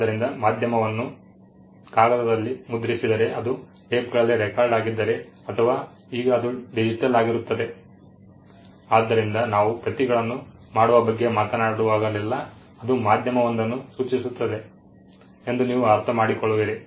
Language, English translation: Kannada, So, print the medium in paper if it is film it is recorded on tapes or now it is digital, so you will understand that whenever we are talking about making copies it implies a medium being there